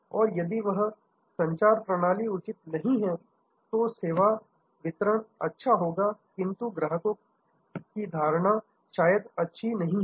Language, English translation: Hindi, And if that communication system is not proper, then the service delivery will be good, but the customer perception maybe not that good